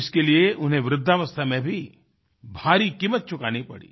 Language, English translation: Hindi, For this, he had to pay a heavy price in his old age